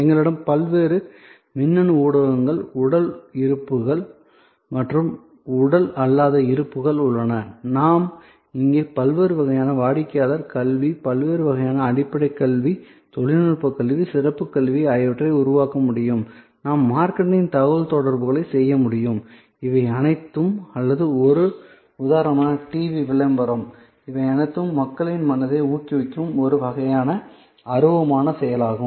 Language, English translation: Tamil, So, we have across different electronic media, across physical presents and non physical presents, we can now create different kind of customer education, different kind of basic education, technical educations, specialize education, we can do marketing communication, these are all or a TV ad for example, these are all intangible action directed at minds of people, sort of mental stimulus creation